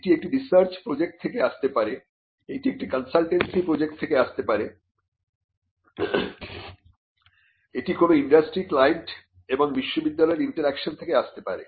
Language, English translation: Bengali, Now, the research results may come from different sources within your institution, it may come from a research project, it may come from a consultancy project, it could come from interaction between an industry client and the university